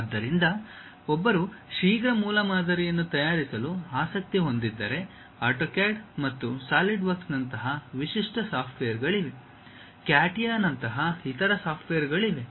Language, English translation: Kannada, So, if one is interested in preparing very quick prototype, the typical softwares like AutoCAD and SolidWorks; there are other softwares also like CATIA